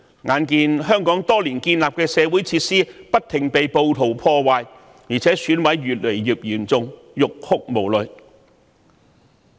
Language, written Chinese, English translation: Cantonese, 眼見香港多年建立的社會設施不停被暴徒破壞，而且損毀情況越來越嚴重，實在欲哭無淚。, Witnessing that many social facilities established in Hong Kong over the past many years are vandalized by rioters and the degree of damage is getting more and more serious I really feel like crying